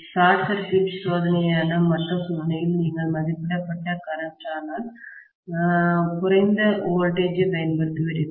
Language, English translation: Tamil, And in the other test which is short circuit test, you will apply rated current but lower voltage